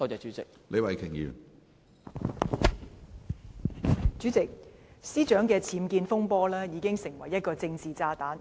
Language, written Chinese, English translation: Cantonese, 主席，律政司司長的僭建風波已成為一個政治炸彈。, President the UBWs fiasco of the Secretary for Justice has become a political bomb